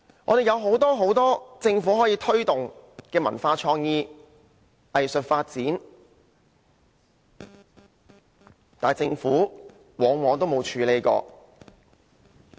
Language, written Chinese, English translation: Cantonese, 我們政府有很多空間可以推動文化創意、藝術發展，但政府往往也沒有處理。, The Government has a lot of room to promote culture creativity and arts development yet more often than not the Government does not address the relevant issues